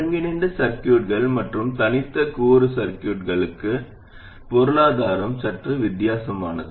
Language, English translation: Tamil, The economics are slightly different for integrated circuits and discrete component circuits